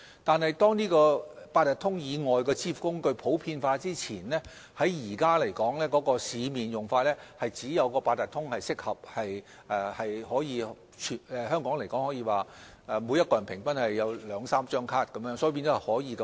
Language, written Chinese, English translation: Cantonese, 可是，在八達通以外的支付工具普及前，現時市面上只有八達通是較為合適的，因為每名香港人平均擁有兩三張八達通卡，易於使用。, However before the popularization of other means of payment now only Octopus is more suitable in the market because on average each Hongkonger owns two or three Octopus cards . It is easy to use